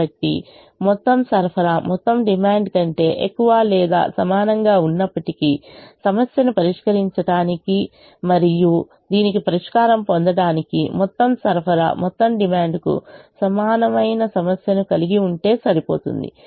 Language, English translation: Telugu, so even if the total supply is greater than equal to total demand, it is enough to have a problem with where the total supply is equal to the total demand to solve and get a solution to this